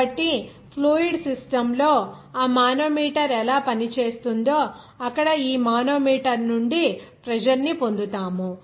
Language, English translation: Telugu, So, there how it works that manometer there in the fluid system to get the pressure from this manometer that you have to know